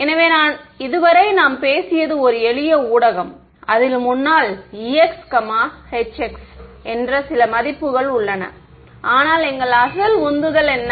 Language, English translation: Tamil, So, so far what we spoke about was just a simple one medium right in which it has some values of e x e y e z h x xyz, but what was our original motivation